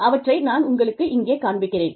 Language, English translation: Tamil, And, let me, just show you these